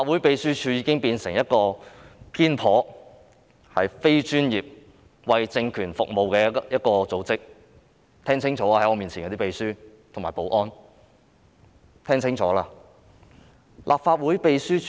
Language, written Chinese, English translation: Cantonese, 秘書處已經變成一個偏頗、非專業、為政權服務的組織，在我面前的秘書和保安人員要聽清楚。, The Secretariat has become a partial and non - professional organization serving the ruling authority . The Clerk and security officers in front of me should listen carefully